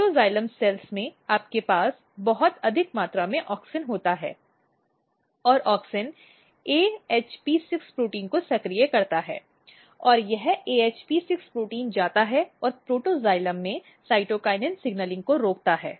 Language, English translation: Hindi, So, what happens in the protoxylem cells what happens you have a very high amount of auxin and auxin basically activate AHP6 protein and this AHP6 protein it goes and inhibits cytokinin signaling in the protoxylem